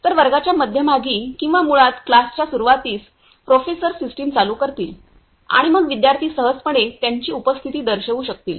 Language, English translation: Marathi, So, in the middle of the class or in the beginning of the class basically, professor will turn on the system and then students will students can easily mark their attendance